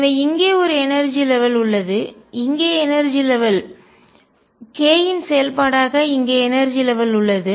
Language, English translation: Tamil, So, there is an energy level here, energy level here, energy level here for as a function of k